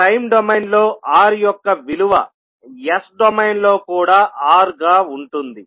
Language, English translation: Telugu, So a value of R in time domain will remain R in s domain also